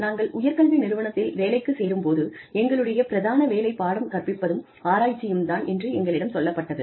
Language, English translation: Tamil, When we join an institute of higher education, we are told that, our primary responsibilities are, teaching and research